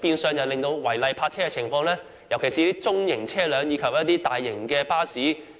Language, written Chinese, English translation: Cantonese, 這令區內違例泊車的情況十分嚴重，特別是中型車輛及大型巴士。, As a result illegal parking in the district is very serious particularly that of medium vehicles and large buses